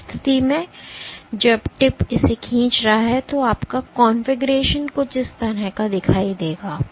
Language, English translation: Hindi, In that case, when the tip is pulling it up your configuration will look something like this